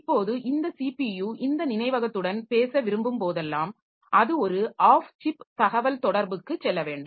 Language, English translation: Tamil, Now, whenever this CPU wants to talk to this memory, so it has to go for an off chip communication